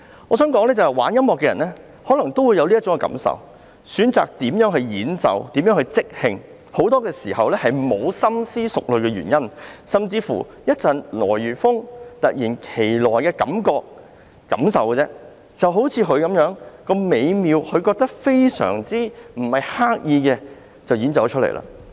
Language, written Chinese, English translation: Cantonese, 我想說，玩音樂的人可能也會有這種感受，如何演奏、如何即興創作，其實很多時候也沒有深思熟慮的原因，甚至只是出於一陣來如風、突如其來的感覺，就像這位結他手般，他認為很美妙，沒有刻意創作，便作出了演奏。, What I wish to say is that people who play music may have this kind of feelings too . In fact very often how they perform and improvise is not based on any well - thought - out reasons . It may be simply out of feelings which suddenly run high just like this guitarist